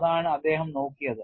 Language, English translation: Malayalam, That is the way he looked at it